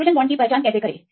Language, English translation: Hindi, How to identify the hydrogen bonds